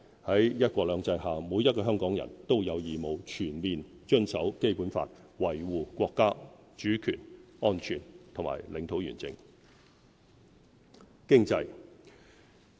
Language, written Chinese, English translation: Cantonese, 在"一國兩制"下，每一個香港人都有義務全面遵守《基本法》，維護國家主權、安全和領土完整。, Under one country two systems every one of us has the obligation to fully comply with the Basic Law and safeguard national sovereignty security and territorial integrity